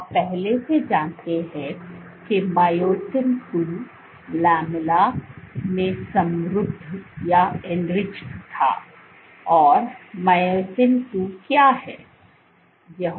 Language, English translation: Hindi, So, you know previously that myosin II, this was enriched in the lamella, and what is myosin II do